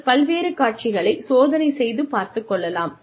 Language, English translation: Tamil, And, you experiment with various scenarios